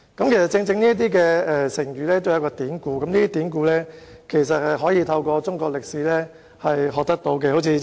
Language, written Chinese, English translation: Cantonese, 成語均有典故，而這些典故其實可以透過學習中國歷史而得知。, Every Chinese idiom has a story behind it and we can actually get to know such stories by learning Chinese history